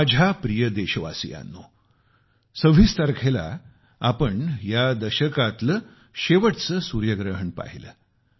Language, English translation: Marathi, My dear countrymen, on the 26th of this month, we witnessed the last solar eclipse of this decade